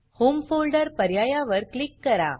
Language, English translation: Marathi, Click on the home folder option